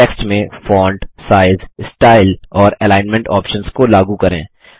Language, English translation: Hindi, Apply the font, size, style and alignment options to the text